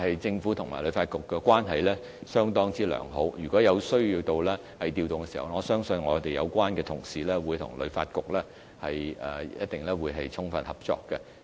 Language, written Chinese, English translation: Cantonese, 政府與旅發局的關係很好，若有需要作出調動，我相信有關同事會跟旅發局充分合作。, As the Government has a very good relationship with HKTB should adjustments be required I believe the colleagues in charge will work closely with HKTB to meets its needs